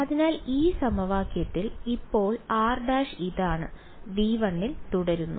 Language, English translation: Malayalam, So, in this equation now r prime which is this guy continuous to stay in V 1